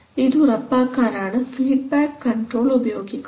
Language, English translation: Malayalam, So for that we always use feedback control